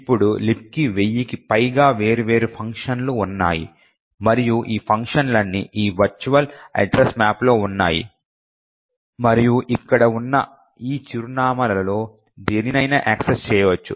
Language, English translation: Telugu, Now LibC has as I mentioned over a thousand different functions and all of this functions are present in this virtual address map and can be access by any of these addresses that are present over here